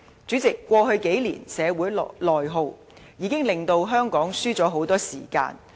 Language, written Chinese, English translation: Cantonese, 主席，過去數年的社會內耗，已令香港失去了很多時間。, President Hong Kong has lost considerable time due to internal social attrition over the past few years